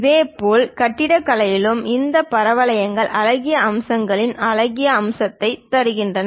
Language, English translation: Tamil, Similarly, in architecture also this parabolas gives aesthetic aspects in nice appeal